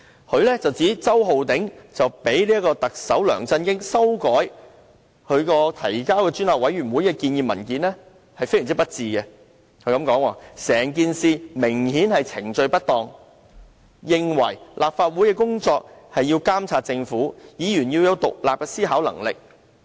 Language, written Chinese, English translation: Cantonese, 她指周浩鼎議員讓特首梁振英修改其提交專責委員會的建議文件非常不智，"整件事明顯是程序不當"；她認為立法會的工作是要監察政府，議員要有獨立的思考能力。, She pointed out that it was unwise for Mr Holden CHOW to allow Chief Executive LEUNG Chun - ying to make amendments to the proposal he intended to submit to the Select Committee . Clearly there is procedural injustice in the incident . She considered that as the work of the Legislative Council was to monitor the Government Members should maintain independent thinking